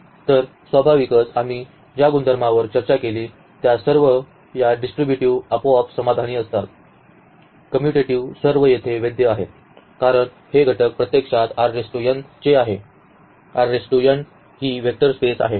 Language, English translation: Marathi, So, naturally all the properties which we discussed, they are satisfied automatically about this distributivity, commutativity all are valid here because these elements actually belong to R n; R n is a vector space